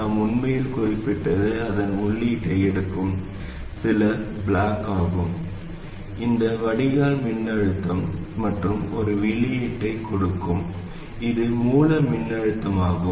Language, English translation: Tamil, What we really need is some block which takes its input which is the drain voltage and gives an output which is the source voltage and also it must have this behavior